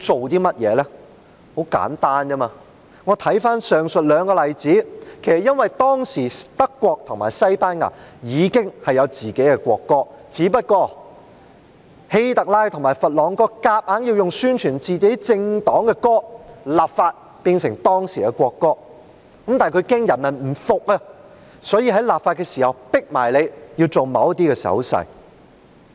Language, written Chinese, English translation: Cantonese, 原因很簡單，從上述兩個例子可見，這其實是因為當時德國和西班牙已有自己的國歌，只是希特拉和佛朗哥強行透過立法，要以宣傳自己政黨的歌曲變成當時的國歌，但他們怕人民不服，所以在立法的同時迫人民展示某些手勢。, The reason is simple . From the two aforesaid examples we can see that actually it was because at that time Germany and Spain already had their national anthems just that Adolf HITLER and Francisco FRANCO through enacting laws forcibly replaced the national anthems by songs intended to propagate their political parties . But they were worried about the people not accepting it and so in enacting the laws they also forced the people to make certain gestures